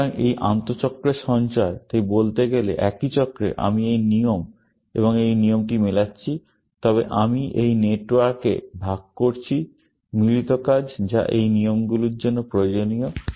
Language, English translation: Bengali, So, this intra cycle savings, so to speak, that in the same cycle, I am matching this rule and this rule, but I am sharing in this network; the matching work, which is required for those rules